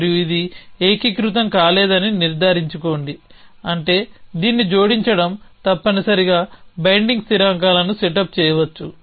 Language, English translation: Telugu, And make sure that this cannot unify with is which means add this to might set up binding constants essentially